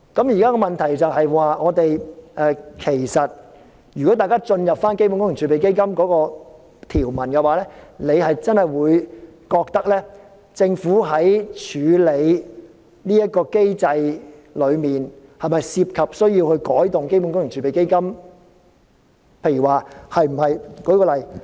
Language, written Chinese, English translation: Cantonese, 現在的問題是，如果大家看看基本工程儲備基金的條文，便真的會認為政府在處理這個機制上，是否需要對基本工程儲備基金作改動呢？, Now the problem is that if we take a look at the provisions on CWRF we will really wonder whether it is necessary for the Government to make changes to CWRF when handling this mechanism